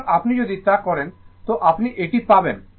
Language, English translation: Bengali, So, if you do, so you will get this one